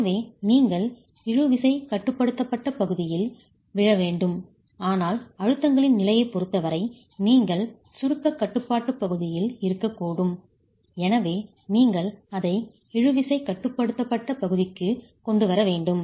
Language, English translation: Tamil, So it is required that you fall into the tension control region, but given the state of stresses, you could be in the compression control region and therefore you need to bring it into the tension control region